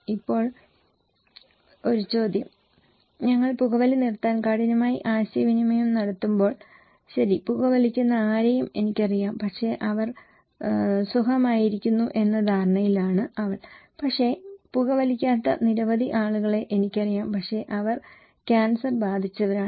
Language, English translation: Malayalam, Now, the question is when we are communicating hard to quit smoking, she is under the impression that okay I know many people who are smoking but they are fine but I know many people who are not smoker but they are affected by cancer